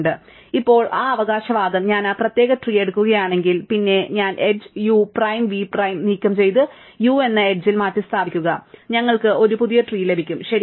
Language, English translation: Malayalam, So, now the claim is if I take that particular tree, and then I remove the edge u prime v prime and replace it by the edge u v get a new tree, right